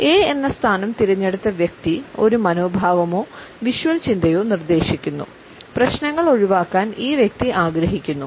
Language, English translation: Malayalam, The person who has opted for the position named as A, suggest an attitude or visual thinking, the person would prefer that these problems can be washed away